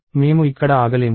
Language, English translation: Telugu, We cannot stop here